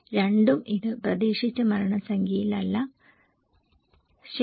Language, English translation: Malayalam, Neither, it is on expected number of fatalities, okay